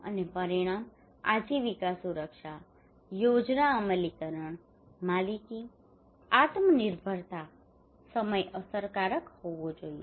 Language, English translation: Gujarati, And outcome; There should be livelihood security, plan implementation, ownership, self reliance, time effective